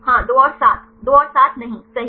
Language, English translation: Hindi, Yes; 2 and 7, 2 and 7 no right